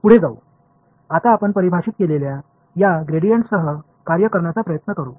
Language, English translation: Marathi, Moving on, now let us try to work with this gradient that we have defined